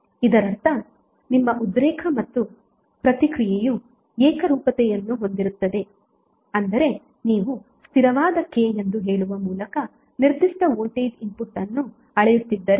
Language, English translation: Kannada, That means that your excitation and the response will have homogeneity, means if you scale up a particular voltage input by say constant K